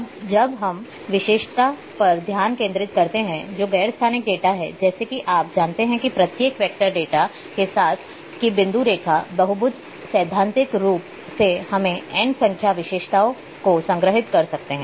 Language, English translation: Hindi, Now let say focus on in the attribute and which is non spatial data as you know that with each vector data whether point line polygon theoretically we can store n number of attributes